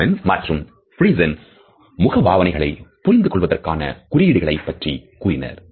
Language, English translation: Tamil, Ekman and Friesen have suggested cues for recognition of facial expressions, which I have listed in a previous slide